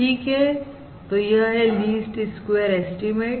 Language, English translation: Hindi, This is your least squares estimates